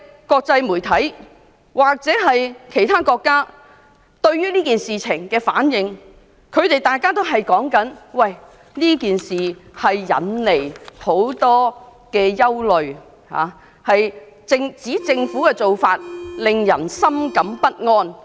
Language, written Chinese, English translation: Cantonese, 國際媒體或外國政府對這件事件回應時表示，他們認為此事引起很多憂慮，香港政府的做法令人深感不安。, When the international media or foreign governments responded to this incident they voiced their concerns stating that the approach of the Hong Kong Government was deeply disturbing